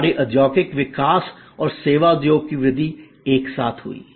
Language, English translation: Hindi, Our industrial growth and service industry growth kind of happened together